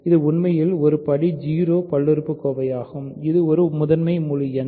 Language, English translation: Tamil, So, it is actually a degree 0 polynomial in which case it is a prime integer